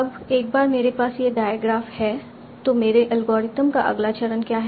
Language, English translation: Hindi, Now once I have this diagram, what is the next step of my algorithm